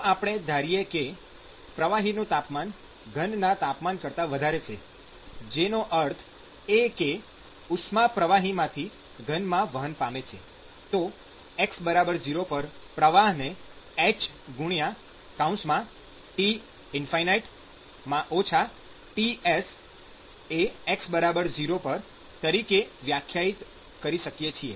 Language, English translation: Gujarati, So, if I assume that the fluid temperature is higher than that of the solid temperature, which means that the heat is transported from the fluid to the solid, then one could define the flux as T infinity minus Ts, which is basically at x is equal to zero